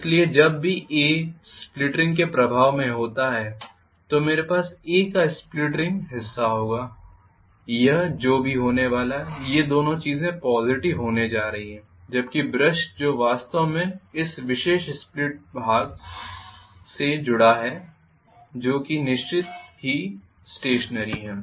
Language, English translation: Hindi, So whenever A is under the influence of split ring I will have split ring portion of A also is going to be both these things are going to be positive whereas the brush which is actually connected to this particular split ring portion A that is fixed stationarily